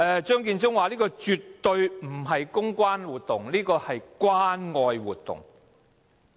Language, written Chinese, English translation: Cantonese, 張建宗表示這絕對不是公關活動，而是關愛活動。, Secretary Matthew CHEUNG said that it is not a public relations exercise but an expression of love and care